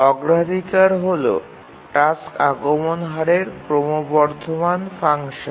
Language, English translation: Bengali, So the priority is a increasing function of the task arrival rate